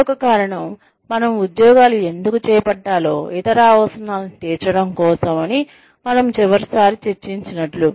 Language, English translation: Telugu, The other reason, why we take up jobs, is to fulfil other needs, like we discussed, last time